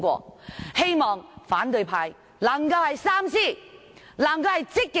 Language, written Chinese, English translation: Cantonese, 我希望反對派三思，積極支持《條例草案》。, I hope that the opposition party will think twice and proactively support the Bill